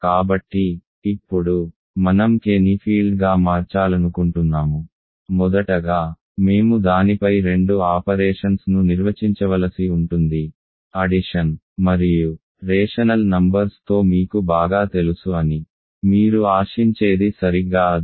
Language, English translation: Telugu, So, now, I want to make K a field; first of all, we have to define two operations on it, addition and it is exactly what you would expect that you are familiar with rational numbers